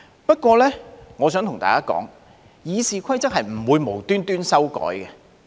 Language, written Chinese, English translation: Cantonese, 不過，我想對大家說，《議事規則》是不會無緣無故修改的。, But I wish to tell Members that the amendment of the Rules of Procedure is not without a reason